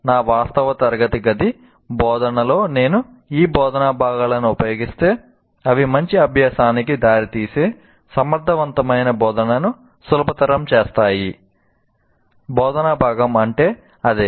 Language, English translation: Telugu, But if I use these instructional components in my actual classroom instruction, they facilitate effective instruction that can lead to good learning